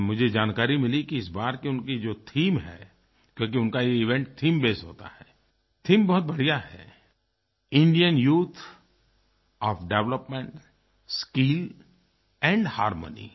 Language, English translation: Hindi, This is a theme based event and I have got the information that this time they have a very good theme and that is "Indian Youth on Development Skill and Harmony"